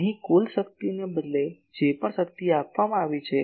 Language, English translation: Gujarati, Here instead of total power whatever power has been given